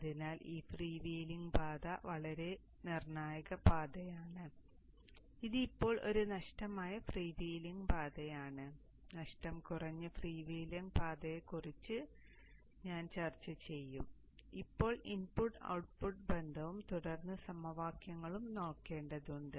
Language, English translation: Malayalam, so this freewheeling path is a very very crucial path this is right now a lossy freewheeling path later on I will also discuss touch upon lossless freewheeling paths for now we have to now look at the input output relationship and then the then the waveforms